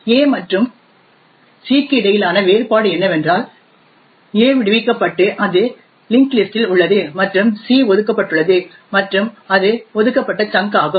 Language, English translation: Tamil, The difference between a and c is that a is freed and it is present in the linked list and c is allocated and it is an allocated chunk